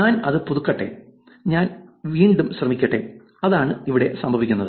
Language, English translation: Malayalam, Let me just refresh it and let me just try it again, that is what is happening in here